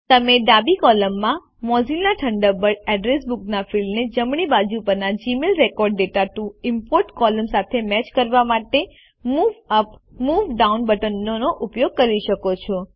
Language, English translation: Gujarati, You must use the Move Up and Move Down buttons to match Mozilla Thunderbird Address Book fields column on the left with Gmail Record data to import column on the right